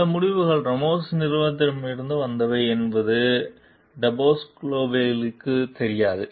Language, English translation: Tamil, Depasquale is unaware that some of the results come from Ramos s company